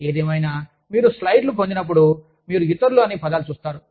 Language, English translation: Telugu, Anyway, when you get the slides, you will see the words et al